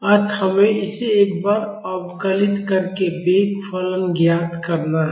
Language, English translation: Hindi, So, if you differentiate this once, you will get the velocity response